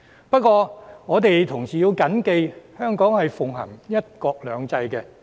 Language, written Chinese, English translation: Cantonese, 不過，我們同時要緊記，香港是奉行"一國兩制"的。, But at the same time we must bear it in mind that Hong Kong practises one country two systems